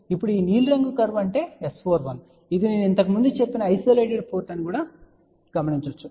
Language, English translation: Telugu, Now this blue curve is nothing, but you can say S 4 1 which I had mention earlier it is supposed to be an isolated port